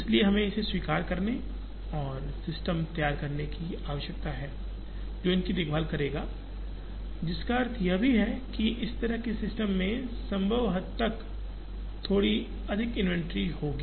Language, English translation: Hindi, So, we need to accept this and devise systems, which will take care of these, which also implies that, there would be slightly higher inventory in these kind of systems to the extent possible